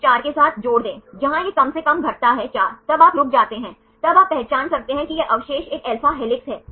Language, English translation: Hindi, With this 4 add up where it decreases right less than 4 then you stop then you can identify this residue is an alpha helix